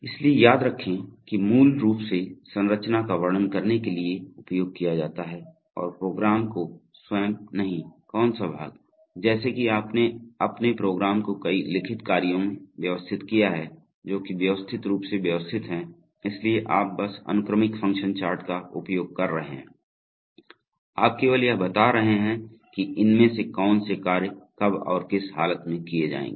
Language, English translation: Hindi, So remember that it is basically used to describe structure, and not the program itself, so which part, so as if you have organized your program into a number of well written functions which are modularly arranged, so you just using the sequential function chart, you are just describing that which of these functions will be executed when and under what condition